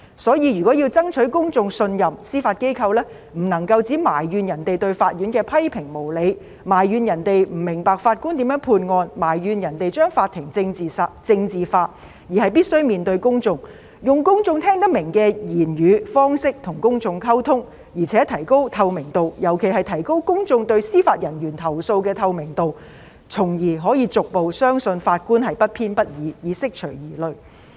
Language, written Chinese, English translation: Cantonese, 因此，如果要爭取公眾信任，司法機構不能只埋怨別人對法院的批評無理，埋怨別人不明白法官如何判案，埋怨別人將法庭政治化，而是必須面對公眾，用公眾聽得明的語言、方式與公眾溝通，而且提高透明度，尤其是提高公眾對司法人員投訴的透明度，從而可以逐步相信法官不偏不倚，以釋除疑慮。, For this reason in order to win the trust of the public the Judiciary should not merely complain that criticisms of the courts are unjustified or that people fail to understand how a judge makes his judgment or that people politicize the courts . Rather it must face the public and forge communication with the public using languages and approaches that are understandable to the public . What is more it has to enhance transparency especially the transparency of public complaints against judicial officers thereby gradually inspiring confidence in the impartiality of judges and hence allaying concerns